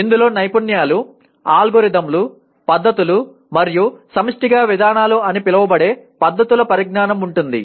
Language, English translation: Telugu, It includes the knowledge of skills, algorithms, techniques, and methods collectively known as procedures